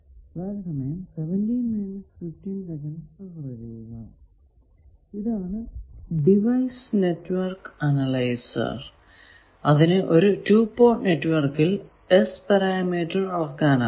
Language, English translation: Malayalam, Now, this is the device network analyzer that can measure the S parameters